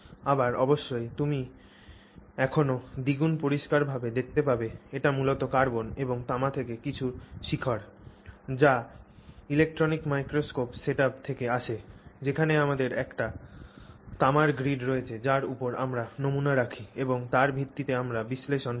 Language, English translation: Bengali, Again of course you still see cleanliness wise it is still primarily carbon and just some peaks from copper which comes from the electron microscope setup where we have a copper grid on which we place the sample and on the basis of that we do the analysis